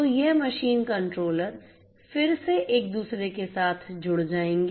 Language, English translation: Hindi, So, these machine controllers will again be connected with each other